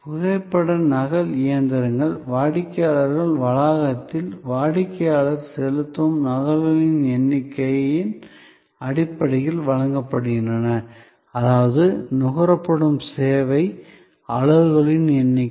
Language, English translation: Tamil, So, photo copying machines are supplied at the customers premises, the customer pays on the basis of base of number of copies made; that means number of service units consumed